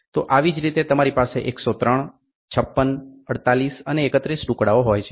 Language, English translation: Gujarati, So, you can have a more of like you can have 103 pieces, 56, 48 and 31